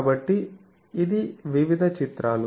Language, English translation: Telugu, So, it is various pictures